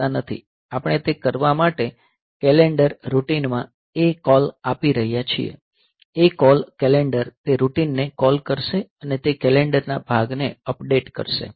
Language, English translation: Gujarati, So, we are giving ACALL to the calendar routine for doing that; so, ACALL calendar will call that routine and it will be updating the calendar part